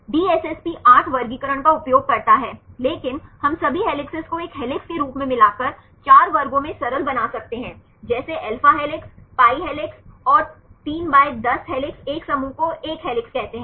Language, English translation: Hindi, DSSP uses 8 classifications, but we can simplify into 4 classes based on by combining all the helices as one helix, like alpha helices, pi helices and the 3/10 helices makes one group called a helix